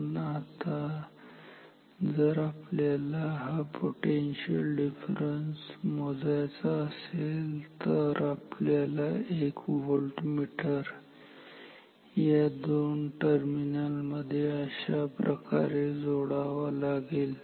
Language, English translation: Marathi, But now if we want to measure the value of this potential difference using a voltmeter, so we have to connect a voltmeter between these two terminals like this